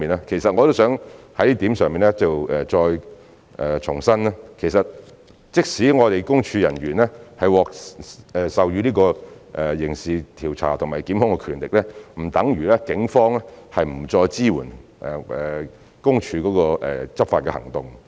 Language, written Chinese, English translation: Cantonese, 其實我也希望就這點再重申，即使私隱公署人員獲授予刑事調查和檢控的權力，並不等如警方不再支援私隱公署的執法行動。, In fact I would like to reiterate on this point that even though PCPD officers are granted criminal investigation and prosecution powers it does not mean that the Police will no longer support PCPD in their enforcement actions